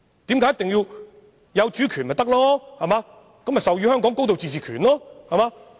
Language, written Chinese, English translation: Cantonese, 不是擁有主權，便可授予香港高度自治權嗎？, Is it not true that when the State has sovereignty it can confer upon Hong Kong a high degree of autonomy?